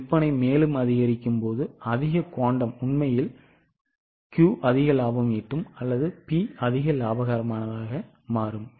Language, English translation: Tamil, When the sale increases by more and more quantum, actually Q will become more profitable or P will become more profitable